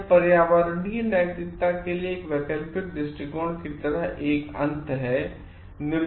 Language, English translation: Hindi, So, it is an end like, alternative approach to environmental morality